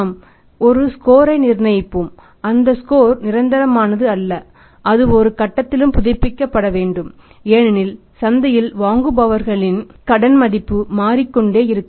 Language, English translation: Tamil, We will work out a score and that score is not permanent that is has to be revived at every point of time because credit worthiness of the people buyers in the market keeps on changing right